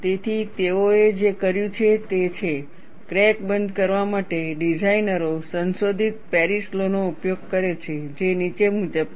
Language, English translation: Gujarati, So, what they have done is, to account for crack closure, designers employ a modified Paris law which is as follows